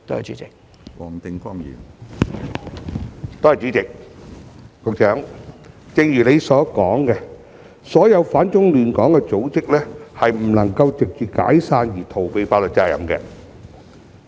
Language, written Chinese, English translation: Cantonese, 主席，正如局長所說，所有反中亂港的組織均不能藉着解散而逃避法律責任。, President as pointed out by the Secretary all organizations which oppose China and disrupt Hong Kong will not be allowed to evade from their liabilities just because of their disbandment